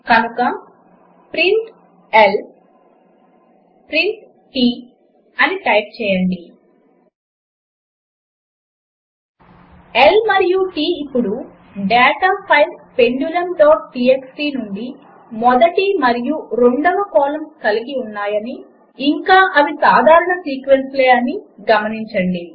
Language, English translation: Telugu, So type print space L print space T Notice, that L and T now contain the first and second columns of data from the data file, pendulum.txt, and they are both simple sequences